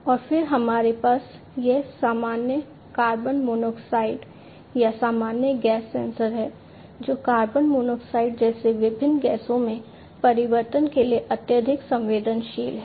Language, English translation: Hindi, And then we have this normal, you know, carbon monoxide or you know general gas sensor, which is highly sensitive to changes in different gases such as carbon monoxide and so on